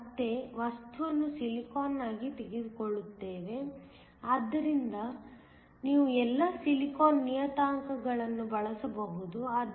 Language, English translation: Kannada, We will again take the material to be silicon, so you can use all the silicon parameters